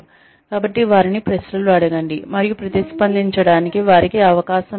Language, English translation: Telugu, So ask them questions, and give them a chance to respond